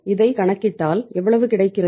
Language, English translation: Tamil, This is going to be how much